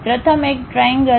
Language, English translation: Gujarati, The first one triad